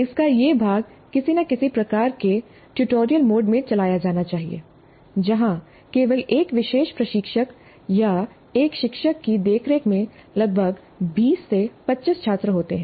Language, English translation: Hindi, So this part of it must be run in some kind of a tutorial mode where there are only about 20 to 25 students with the care of one particular instructor or one tutor